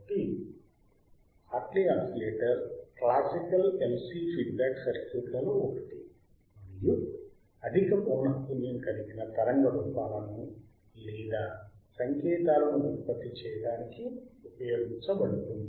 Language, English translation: Telugu, So, the Hartley oscillator is one of the classical LC feedback circuits and is used to generate high frequency wave forms or signals alright